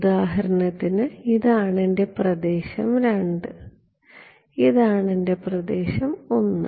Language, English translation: Malayalam, So, this is for example, this is my region II this is my region I